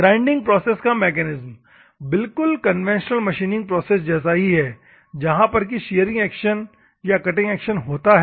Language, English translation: Hindi, The mechanism of the grinding process is the same, like a conventional machining process that is shearing action or the cutting action